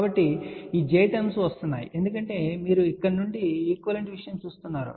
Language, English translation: Telugu, So, these j terms are coming because you are looking from here equivalent thing